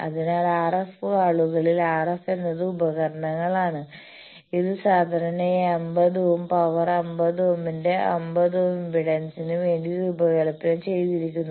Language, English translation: Malayalam, So, RF at RF people they the instruments, etcetera that is designed generally for 50 ohm of power 50 ohm of 50 ohm impedance